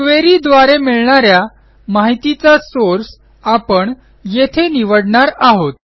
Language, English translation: Marathi, This is where we will select the source of the data that we need from this query